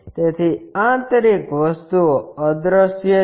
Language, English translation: Gujarati, So, internal things are invisible